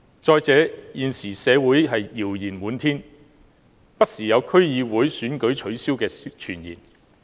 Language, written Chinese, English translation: Cantonese, 再者，現時社會謠言滿天，不時有取消區議會選舉的傳言。, Besides rumours are constantly circulating that the District Council Election will be called off